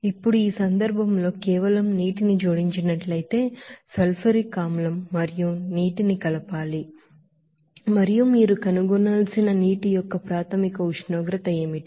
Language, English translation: Telugu, Now in this case if only water is added what masses of sulfuric acid and water should be mixed and what should be the initial temperature of the water that you have to find out